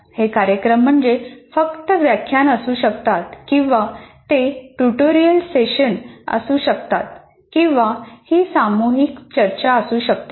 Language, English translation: Marathi, Events could be just lecturing or it could be a tutorial session or it could be a group discussion but all these events are being organized to facilitate learning